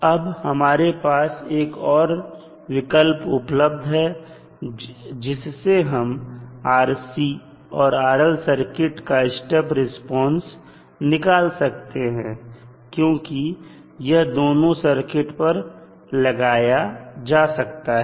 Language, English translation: Hindi, Now, there is an alternate method also for finding the step response of either RC or rl because it is applicable to both of the types of circuits